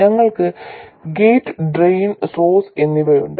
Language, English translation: Malayalam, We have the gate, drain and source